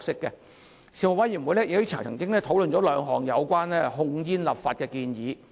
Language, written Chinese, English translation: Cantonese, 事務委員會曾討論兩項有關控煙的立法建議。, The Panel discussed two legislative proposals on tobacco control